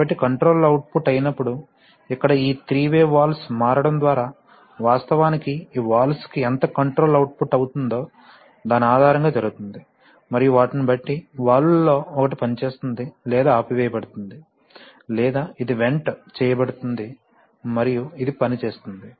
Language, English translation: Telugu, So when the controller output, so here the switching which is by this three way valves is actually done based on how much controller output is being exerted to these valves, and depending on them, one of the valves will be operating, either this will be operating or this will be shut off, or this will be vented and this will be operating